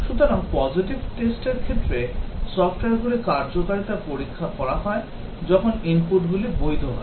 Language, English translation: Bengali, So, the positive test cases check the working of the software, when the inputs are valid